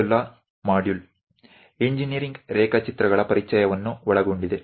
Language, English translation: Kannada, The first module covers introduction to engineering drawings